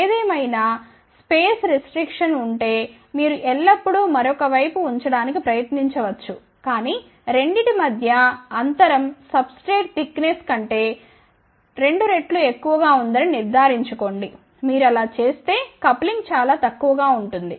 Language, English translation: Telugu, However, if there are space restriction you can always try to put on the other side, but ensure that the gap between the two is greater than 2 times the substrate thickness, if you do that coupling will be relatively small